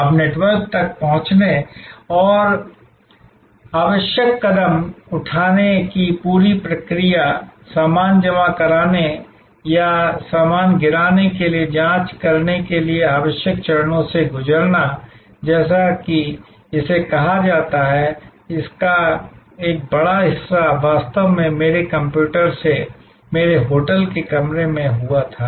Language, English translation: Hindi, Now, the entire process of accessing the network and doing the necessary steps, going through the necessary steps for checking in, for baggage deposit or baggage drop as it is called, a large part of that actually happened from my hotel room from my computer